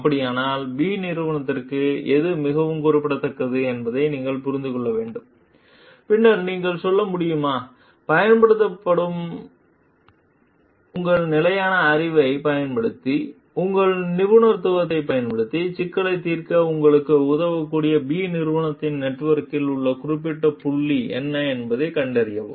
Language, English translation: Tamil, So, in that case you have to like understand like which is very specific to company B, then whether you can say, use your standard knowledge and then use your expertise and find out what are the specific points in present in company B s network that can help you to solve the problem